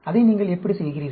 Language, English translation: Tamil, How do you do that